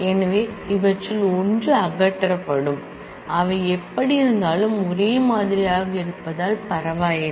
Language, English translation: Tamil, So, one of them will be removed, it does not matter because they are identical anyway